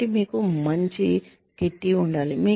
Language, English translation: Telugu, So, you should have a nice kitty